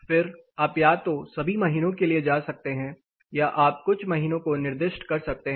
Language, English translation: Hindi, Then you can either go for all months or you can specify specific you know selected months